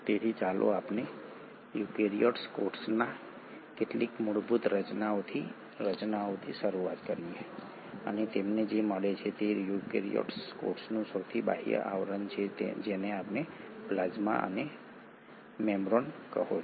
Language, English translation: Gujarati, So let us start with some of the basic structures of a eukaryotic cell and what you find is the outermost covering of the eukaryotic cell is what you call as the plasma membrane